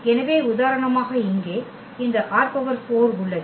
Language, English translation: Tamil, So, for instance here we have this R 4